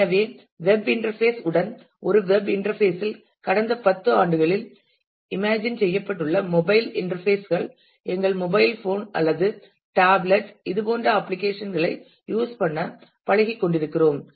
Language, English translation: Tamil, So, in the web interface along with a web interface what has been imagined of let of the last about 10 years are mobile interfaces that we are getting use to using such applications from our mobile phone or tablet